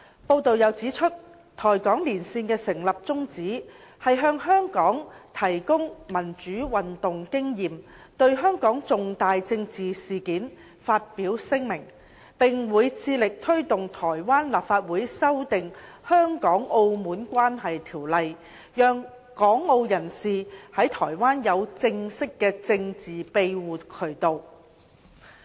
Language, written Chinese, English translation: Cantonese, 報道又指出，台港連線的成立宗旨，是向香港提供民主運動經驗、對香港重大政治事件發表聲明，並會致力推動台灣立法院修訂《香港澳門關係條例》，讓港澳人士在台灣有正式的政治庇護渠道。, It has also been reported that the purpose of establishing the Caucus is to share experience in democratic movements with Hong Kong make statements on major political events in Hong Kong and strive to promote the amendment of the Act Governing Relations with Hong Kong and Macau by Taiwans Legislative Yuan so that people from Hong Kong and Macau will have a formal channel to seek political asylum in Taiwan